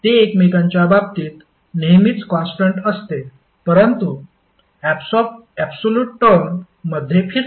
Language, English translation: Marathi, That's why they are always constant with respect to each other but rotating in an absolute term